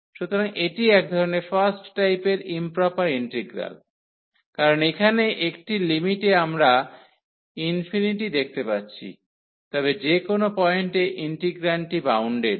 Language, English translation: Bengali, So, this is the improper integral of a kind one or the first kind because here in the limit we do see a infinity, but the integrand at any point is bounded